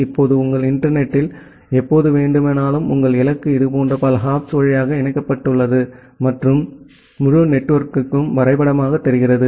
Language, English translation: Tamil, Now, whenever in your internet your destination is connected via multiple such hops and the entire network looks like a graph